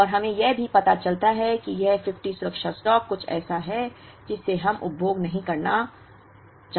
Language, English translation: Hindi, And we also realize that this 50 safety stock is something that we will need not end up consuming at all